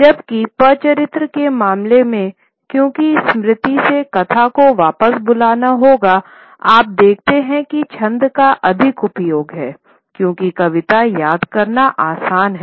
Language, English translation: Hindi, Whereas in the case of the Pata Chitra, because the narrative has to be recalled from memory, you see that there is a greater use of versification because verse is easier to remember